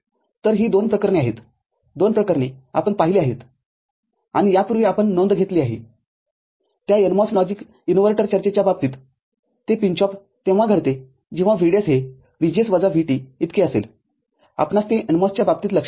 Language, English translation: Marathi, So, these are the two cases, two extreme cases we have seen and you have already noted earlier, in case of that NMOS logic inverter discussion, that the pinch off occurs when VDS is equal to VGS minus VT we remember that for the NMOS